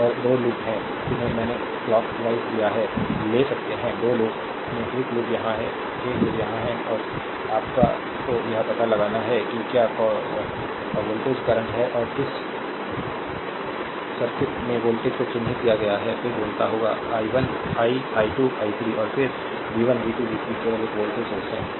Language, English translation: Hindi, And you have to find out your what you call voltages ah current and voltages in this circuit the weight is marked, then you have to find out i 1 i 2 i 3 , and then v 1 v 2 v 3 only one voltage source is there